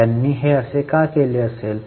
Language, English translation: Marathi, Why they would have done that